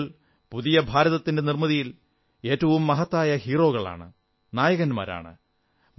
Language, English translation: Malayalam, Children are the emerging heroes in the creation of new India